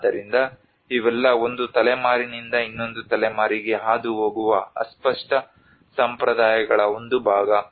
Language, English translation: Kannada, So this all has to a part of the intangible traditions which pass from one generation to another generation